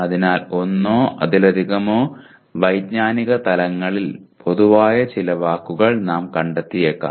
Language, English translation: Malayalam, So we may find some words which are common across one or more maybe two of the cognitive levels